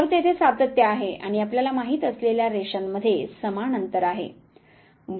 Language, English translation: Marathi, So, there is continuity and there is an equal gap between the lines there you know